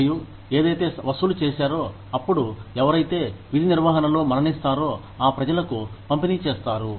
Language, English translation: Telugu, And, whatever is collected, is then, dispersed to people, who die in the line of duty